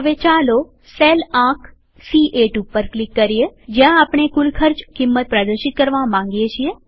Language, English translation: Gujarati, Now lets click on cell number C8 where we want to display the total of the costs